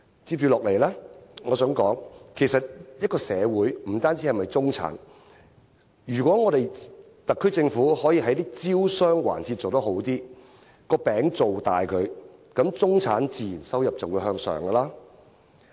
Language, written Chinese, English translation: Cantonese, 接下來，我想說的是，其實社會不只由中產組成，如果特區政府能在招商環節做得更好，把餅造大，中產的收入自然會增加。, Next I would like to point out that society is not composed of the middle class only . If the SAR Government can achieve better results in business promotion to enlarge the economic pie the middle classs income will rise as a result